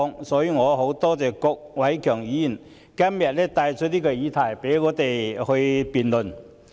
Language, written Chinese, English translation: Cantonese, 因此，我很多謝郭偉强議員今天帶出這個議題，讓我們可以進行辯論。, Hence I have to thank Mr KWOK Wai - keung for bringing up this question today so that we can debate the issue